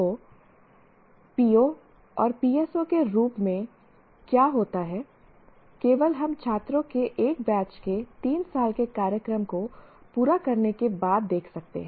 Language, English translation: Hindi, So what happens as POs and PSOs only we can look at after a batch of students complete their three year program